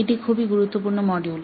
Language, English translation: Bengali, This is a very, very important module